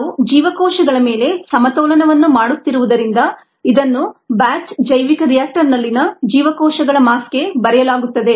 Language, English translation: Kannada, since we are doing the balance on cells, this would be written for the mass of cells in the batch bioreactor, since it is batch and a